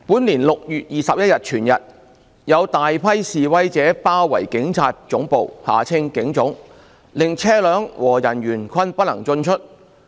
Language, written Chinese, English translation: Cantonese, 本年6月21日全日，有大批示威者包圍警察總部，令車輛和人員均不能進出。, A large group of demonstrators surrounded the Police Headquarters PHQ for the whole day of 21 June this year barring entry and exit of vehicles and persons